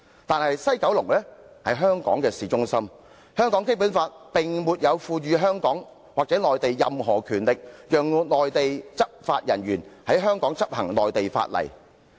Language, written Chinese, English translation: Cantonese, 但是，西九龍在香港的市中心，香港的《基本法》並沒有賦予香港或內地任何權力，讓內地執法人員在香港的領土範圍執行內地法例。, However concerning the case of West Kowloon Station which that stands in the town centre the Basic Law neither gives Hong Kong nor the Mainland any powers to permit Mainland enforcement officers to enforce Mainland laws within Hong Kongs territory